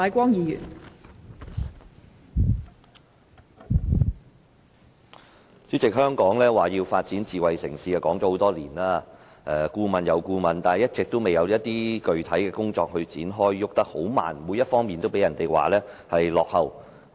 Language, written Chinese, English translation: Cantonese, 代理主席，香港提出發展智慧城市已有多年，當局擬備了一份又一份的顧問研究，但一直未有展開具體工作，進展十分緩慢，各方面都被人批評為落後。, Deputy President many years have passed since the proposal to develop Hong Kong into a smart city was mooted . The authorities have done many consultancy study reports one after another but they have not commenced any concrete work . While the progress has been very slow various aspects have also been criticized for lagging behind